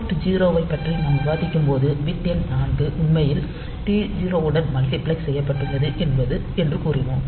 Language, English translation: Tamil, So, when we discussed about the port 3, we said that bit number 4 is actually multiplexed with T 0